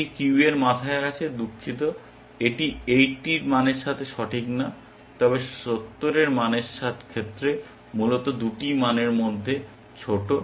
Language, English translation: Bengali, This is at the head of the queue sorry, this is not correct with the value of 80, but with value of 70 essentially the lower of the 2 values